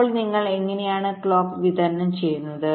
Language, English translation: Malayalam, so how do you distribute the clock